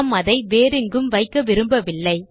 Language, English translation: Tamil, We do not want to place the dot at any other place